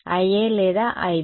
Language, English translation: Telugu, I A and I B